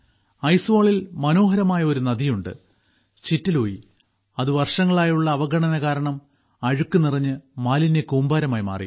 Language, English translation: Malayalam, There is a beautiful river 'Chitte Lui' in Aizwal, which due to neglect for years, had turned into a heap of dirt and garbage